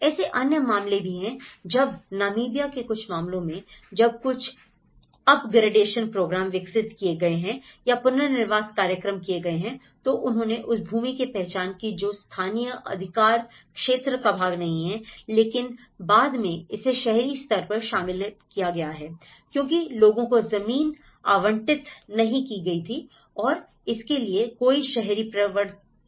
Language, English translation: Hindi, There is also other cases when in cases of Namibia, when certain up gradation program have been developed or the relocation program have done, they identified the land which was not part of the you know, in the local jurisdiction but then, the time it came into it has been included in the urban level, by the time people because there is no urban enforcement when they have been allocated a land